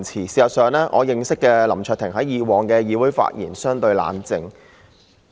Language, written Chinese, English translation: Cantonese, 事實上，我認識的林卓廷議員以往在議會的發言相對冷靜。, In fact Mr LAM Cheuk - ting whom I know used to speak relatively calmly